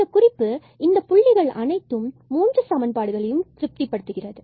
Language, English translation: Tamil, This is the point which is which satisfies all these 3 equations